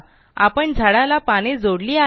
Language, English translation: Marathi, So, we have added leaves to the tree